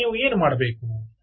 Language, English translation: Kannada, you now want to